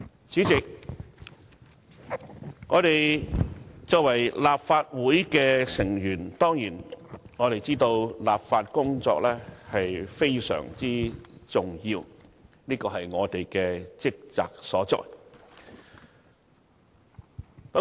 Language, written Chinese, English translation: Cantonese, 主席，我們作為立法會議員，當然知道立法工作非常重要，這是我們的職責所在。, Chairman as Members of this Council we certainly understand the vital importance of law - making which is one of our responsibilities